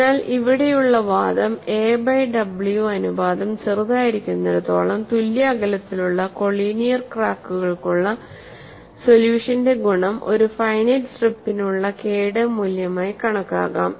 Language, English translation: Malayalam, So, when a by w ratio is small, we result for evenly spaced collinear cracks can be taken as the value of K1 for a finite strip also